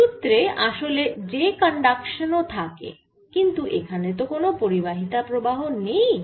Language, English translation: Bengali, there is j conduction, but also here there is no conduction currents, so that is why that is ignored